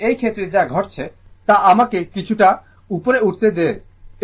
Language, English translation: Bengali, So, in this case, what is happening that just let me move little bit up